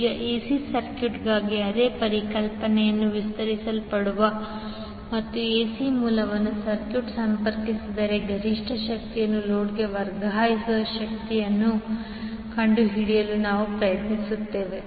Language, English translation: Kannada, Now the same concept will extend for the AC circuit and we will try to find out the condition under which the maximum power would be transferred to the load if AC source are connected to the circuit